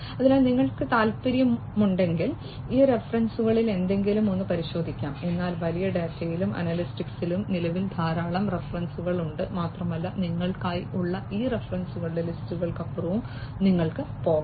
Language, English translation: Malayalam, So, if you are interested you could go through any of these references, but there are huge number of references on big data and analytics at present and you could go even beyond these lists of references that are there for you